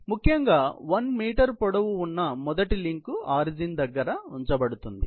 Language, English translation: Telugu, So, the first link which is at 1 meter in length is basically, or positioned about the origin